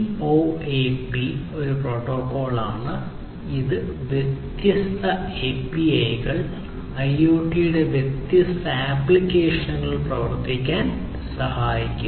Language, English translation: Malayalam, So, CoAP is you know is a protocol, which helps ensure running different APIs, different you know applications at different applications in IoT